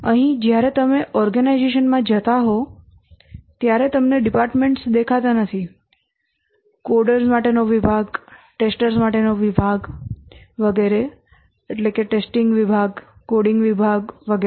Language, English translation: Gujarati, Here when you walk into the organization, you don't see the departments, the department of designers, department for coders, department for testers, and so on, the testing department, coding department, and so on